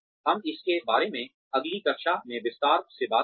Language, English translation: Hindi, We will talk more about this in detail in the next class